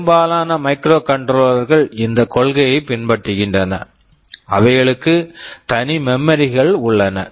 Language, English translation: Tamil, Most of the microcontrollers follow this principle; they have separate memories